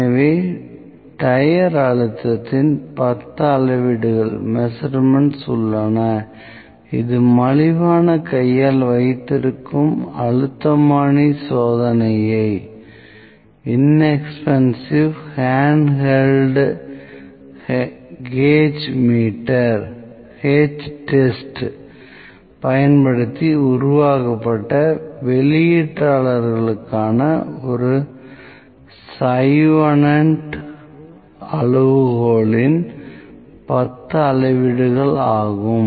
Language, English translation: Tamil, So, we have 10 measurements of a tire pressure made using an inexpensive hand held gauge test for the outliers using Chauvenet’s criterion 10 measurements, and we have this observation table here